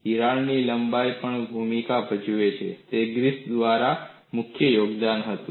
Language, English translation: Gujarati, The length of the crack also plays a role that was a key contribution by Griffith